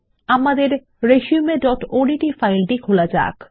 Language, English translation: Bengali, We shall open our resume.odt file